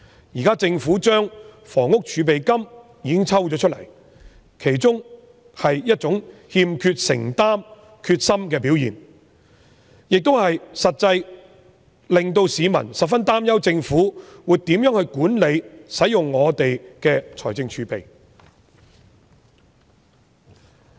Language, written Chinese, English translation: Cantonese, 現時政府抽走了房屋儲備金，是一種欠缺承擔和決心的表現，實際上令到市民十分擔憂政府會如何管理及使用本港的財政儲備。, The current proposal of taking away part of the Housing Reserves shows a lack of commitment and determination of the Government and such a practice actually makes the public very worried about how the Government will manage and use the fiscal reserves of Hong Kong